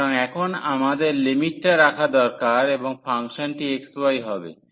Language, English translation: Bengali, So, now, we need to just put the limits and the function will be xy